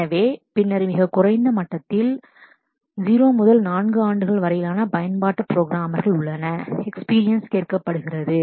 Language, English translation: Tamil, So, then at the lowest level there are application programmers for which typically 0 to 4 years of experience are asked for